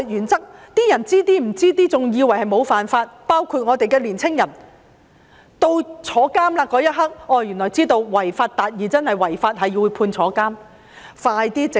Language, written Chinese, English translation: Cantonese, 很多人對法律原則一知半解，以為沒有觸犯法例，包括年青人，到入獄那刻才知道"違法達義"真的是違法，會被判入獄。, Many people have little knowledge about the principle of law . They including young people think that they have not broken the law . Only when they are sent to the prison do they realize that achieving justice by violating the law actually means breaking the law and they will be imprisoned